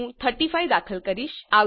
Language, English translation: Gujarati, I will enter 25